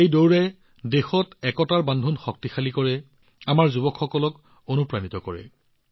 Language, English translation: Assamese, This race strengthens the thread of unity in the country, inspires our youth